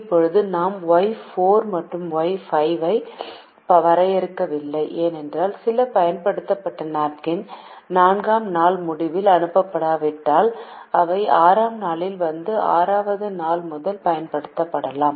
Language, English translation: Tamil, now we don't define y four and y five, because if some used napkins are sent at the end of day four, they will arrive on day six and can be used from day six onwards